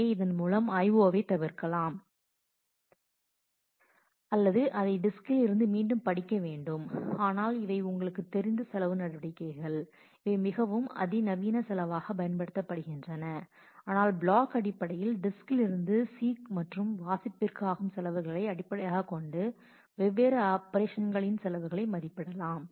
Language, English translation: Tamil, So, that the I/O can be avoided or it needs to be actually read back from the disk, but these are some of the you know cost measures that are used in a more sophisticated cost function, but we will simply use the seek and read cost from the disk in terms of blocks to estimate our cost of the different operation